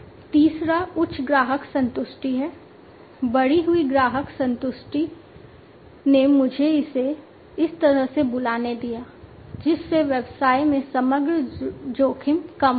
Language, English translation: Hindi, The third one is the higher customer satisfaction, increased customer satisfaction let me call it that way, reducing the overall risks in the business